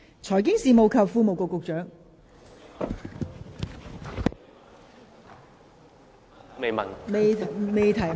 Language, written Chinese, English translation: Cantonese, 財經事務及庫務局局長，請作答。, Secretary for Financial Services and the Treasury please give a reply